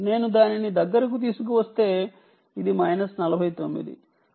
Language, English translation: Telugu, if i bring it closer, it is minus forty nine